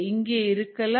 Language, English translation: Tamil, what is happening here